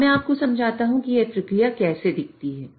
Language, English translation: Hindi, Now, let me explain you how this process looks like